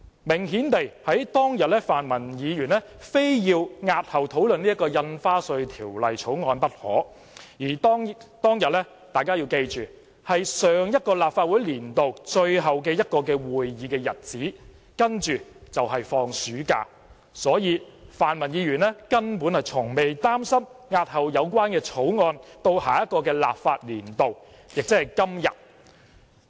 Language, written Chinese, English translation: Cantonese, 明顯地，當天泛民議員非要押後討論《條例草案》不可，而大家要記住，當天是上一個立法年度最後一個會議日子，接着便放暑假，所以泛民議員根本從不擔心押後《條例草案》至下一個立法年度，亦即是今天。, Please bear in mind that it was the last meeting of the last legislative session followed by the summer recess . Hence the pan - democrats were not at all concerned about postponing the Bill to the next legislative session ie . until today